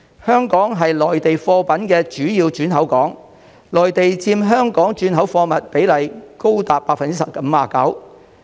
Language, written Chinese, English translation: Cantonese, 香港是內地貨物的主要轉口港，內地佔香港轉口貨物比例高達 59%。, Hong Kong is a major entreport for Mainland goods which account for as much as 59 % of Hong Kongs transhipment cargoes